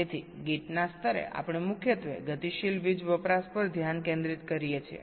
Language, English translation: Gujarati, so, at the level of gates, we are mainly concentrating at the dynamic power consumption